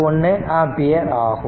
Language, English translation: Tamil, 241 ampere right